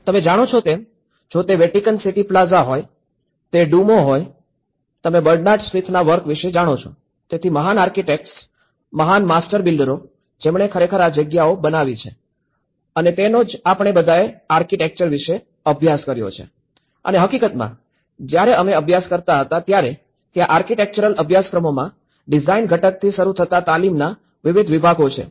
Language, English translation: Gujarati, You know, whether it is a Vatican city plaza, whether it is Duomo, you know the Bernard smith work; so the great architects, the great master builders who have actually made these spaces to happen and that is what we all studied about architecture and in fact, when we were studying these architectural courses, there are different segments of the training starting from your design component and as well as the construction component, the structural component, the service component and the historical component